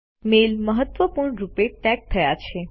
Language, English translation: Gujarati, The mail is tagged as Important